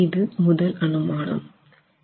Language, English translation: Tamil, And that is a typical assumption